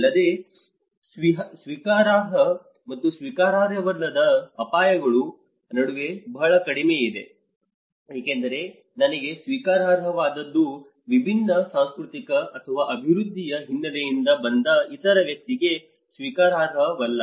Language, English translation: Kannada, Also, very less is known between the acceptable and unacceptable risks because what is acceptable to me may not be acceptable to the other person who come from a different cultural or a development background